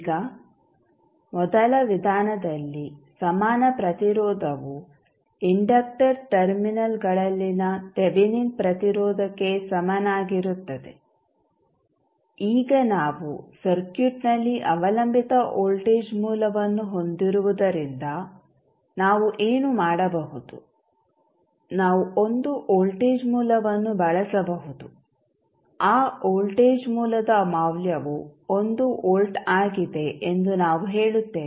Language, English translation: Kannada, Now, in first method the equivalent resistance is the same as Thevenin resistance at the inductor terminals now, since, we have a dependent voltage source available in the circuit, what we can do, we can use one voltage source that we ley say that the value of that voltage source is 1 volt